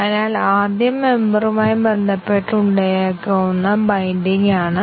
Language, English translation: Malayalam, So, first is the binding that may occur with respect to the member